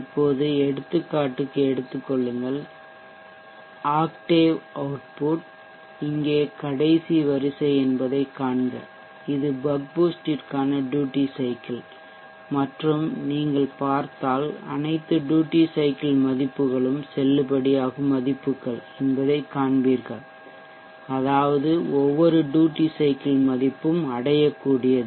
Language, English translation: Tamil, Now take for example, The octave output see that here is last column here is the duty cycle or the bug boost, and if you go through you will see that all the duty cycle values are valid values which means every duty cycle value is reachable